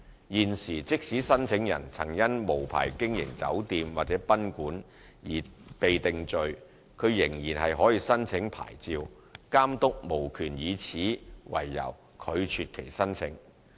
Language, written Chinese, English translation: Cantonese, 現時，即使申請人曾因無牌經營酒店或賓館而被定罪，他仍可申請牌照，監督無權以此為由拒絕其申請。, Under the current licensing system if an applicant has been convicted of operating an unlicensed hotel or guesthouse before the applicant can still apply for a licence and the Authority has no power to refuse the application on such grounds